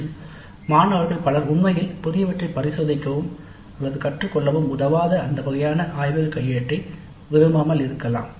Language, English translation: Tamil, And many of the students actually may not like that kind of laboratory manual which does not help them to explore experiment or learn anything new